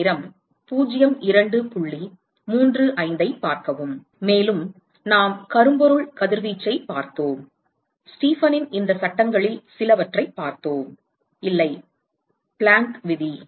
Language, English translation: Tamil, And, then we looked at we looked at blackbody radiation and we looked at some of these laws on Stefan, no, Planck’s law